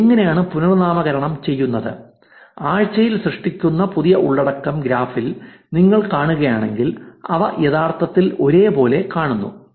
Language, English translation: Malayalam, How this renames same is actually, if you see the new content that is generated per week on the graph, they actually seeing to be very same across